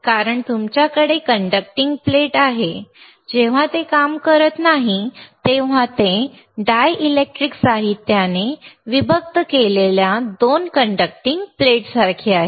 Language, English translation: Marathi, bBecause you have a conducting plate, you have a conducting plate when, when it is not operating, it is is like a 2 conducting plates separated by some material by some dielectric material